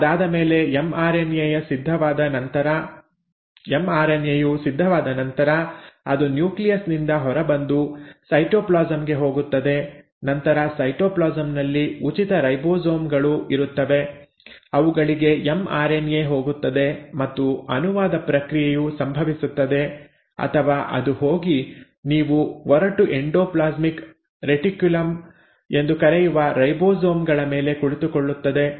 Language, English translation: Kannada, After that once the mRNA is ready, it comes out of the nucleus into the cytoplasm and then in the cytoplasm there will be either free ribosomes to which the mRNA will go and the process of translation will happen or it will go and sit on those ribosomes which are sitting on what you call as the rough endoplasmic reticulum